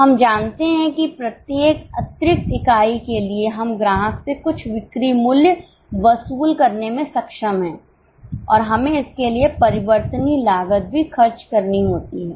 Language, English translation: Hindi, We know that for every extra unit we are able to recover certain sale price from the customer and we have to incur variable costs for it